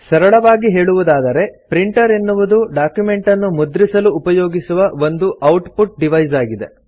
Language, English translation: Kannada, A printer, in simple words, is an output device used to print a document